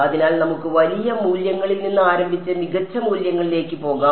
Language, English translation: Malayalam, So, this is let us start with the large values and go to finer values right